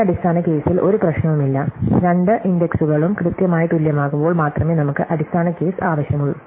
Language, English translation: Malayalam, So, there is no problem with this base case, we only need the base case when the two indices are exactly equal